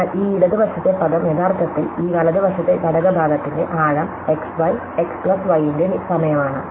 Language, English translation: Malayalam, So, this left hand side term is actually this right hand side component depth of x y, times of x plus y